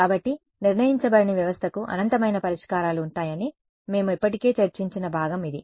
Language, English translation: Telugu, So, we this is the part we have already discussed that the underdetermined system will have infinite solutions